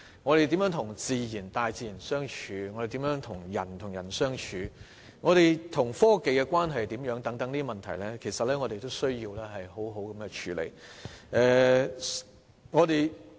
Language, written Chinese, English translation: Cantonese, 我們如何與大自然相處、人與人之間如何相處、我們與科技的關係如何等問題，其實要好好處理。, Questions such as how we live together with Mother nature how we get along with each other what relations we have with technology etc indeed have to be properly dealt with